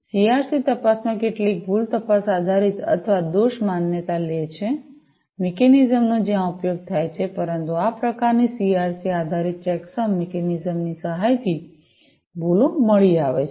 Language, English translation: Gujarati, The CRC checks take some based error detection or fault recognition, mechanisms are used where the, but errors are found out with the help of this kind of CRC based checksum mechanism